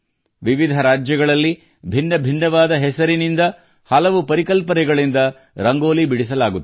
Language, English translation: Kannada, Rangoli is drawn in different states with different names and on different themes